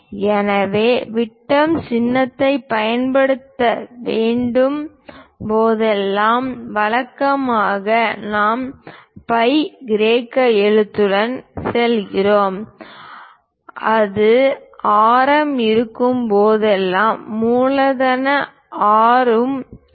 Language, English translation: Tamil, So, whenever diameter symbol has to be used usually we go with ‘phi’ Greek letter and whenever it is radius we go with capital ‘R’